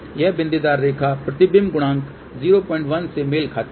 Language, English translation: Hindi, This dotted line corresponds to reflection coefficient equal to 0